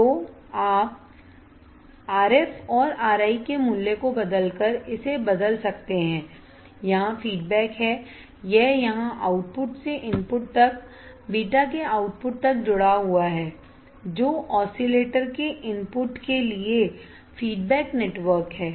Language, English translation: Hindi, So, this you can change by changing the value of RF and R I, this you can change by changing the value of RF and R I, this feedback here it is connected here its connected here from the output to the input from output of the beta that is feedback network to the input of the oscillator